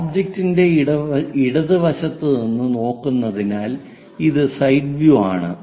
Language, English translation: Malayalam, And this side view because we are looking from left side of the object